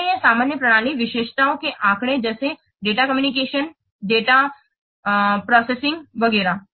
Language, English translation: Hindi, So these are the general system characteristics data like data communication, distributed data processing, etc